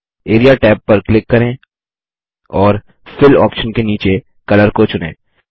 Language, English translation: Hindi, Click the Area tab and under the Fill option, select Color